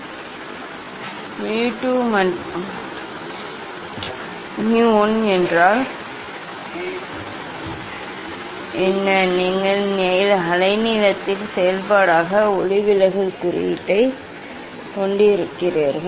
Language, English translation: Tamil, what is mu 2 and mu 1 you have refractive index as a function of wavelength